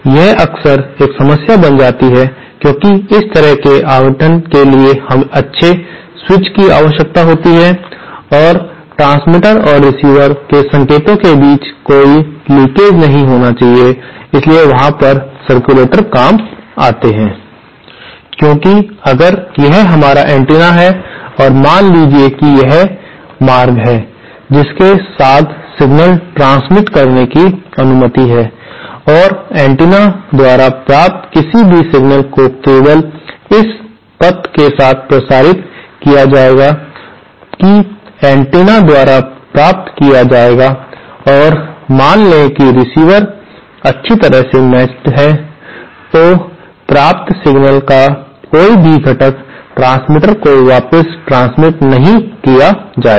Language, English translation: Hindi, That often becomes a problem because such allocation needs good switch and there should also be no leakage between the signals of the transmitter and receiver, so there the circulator comes handy because if this is our antenna and suppose this is the path along which signal transmission is allowed and any single received by the antenna will be transmitted only along this path will be received by the antenna and suppose the receiver is well matched, then no component of the received signal will be transmitted back to the transmitter